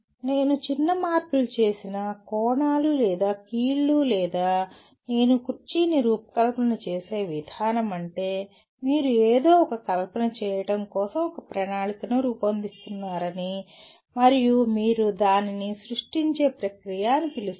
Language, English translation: Telugu, Even if I make small changes, the angles or the joints or the way I design the chair it becomes that means you are creating a plan to fabricate something and that is what do you call is a create process